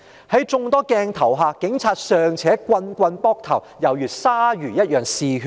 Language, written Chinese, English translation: Cantonese, 在眾多鏡頭下，警察尚且連番棒打被捕者頭部，猶如鯊魚般嗜血。, In front of so many cameras the Police still repeatedly struck the protesters on the head as bloodthirsty as sharks